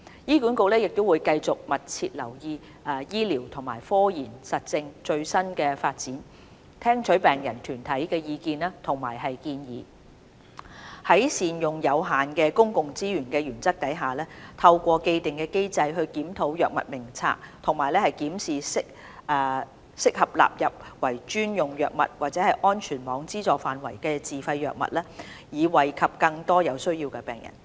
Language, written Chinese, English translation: Cantonese, 醫管局會繼續密切留意醫療和科研實證的最新發展，聽取病人團體的意見和建議，在善用有限公共資源的原則下，透過既定機制檢討《藥物名冊》和檢視適合納入為專用藥物或安全網資助範圍的自費藥物，以惠及更多有需要的病人。, HA will continue to keep abreast of the latest development of clinical and scientific evidence listen to the views and suggestions of patient groups and follow the principle of rational use of limited public resources to review HADF under the established mechanism and to include suitable self - financed drugs as special drugs or under the coverage of the safety net so as to benefit more patients in need